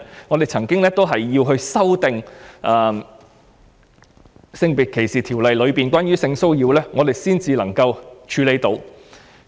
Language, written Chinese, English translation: Cantonese, 我們以往也曾修訂《性別歧視條例》內有關性騷擾的定義，以處理相關的情況。, We had previously amended the definition of sexual harassment in SDO to deal with the relevant situation